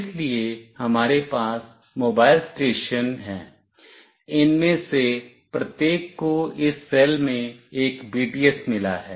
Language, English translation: Hindi, So, we have mobile stations, each of these has got one BTS in this cell